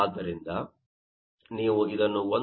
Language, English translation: Kannada, Now, in this case, 1